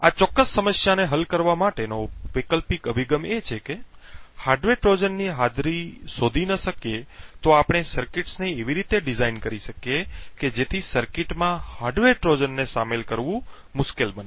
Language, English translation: Gujarati, An alternate approach to solve this particular problem is to prevent hardware Trojans altogether so essentially if we cannot detect the presence of a hardware Trojan we will design circuits in such a way so that insertion of hardware Trojans in the circuits become difficult